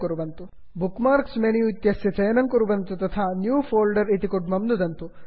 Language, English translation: Sanskrit, * Select Bookmarks menu and click on New Folder